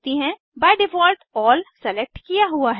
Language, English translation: Hindi, By default All is selected